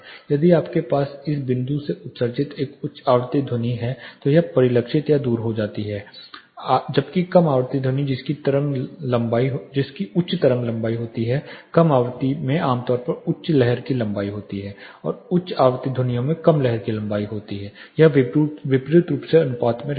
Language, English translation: Hindi, If you have a high frequency sound emitted from this point it gets reflected or scattered away, whereas low frequency sound which has high wave length; low frequency typically has high wave length and high frequency sounds have a low wave length inversely proportion